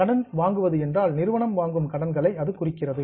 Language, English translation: Tamil, Borrowing refers to the loans which are taken by the company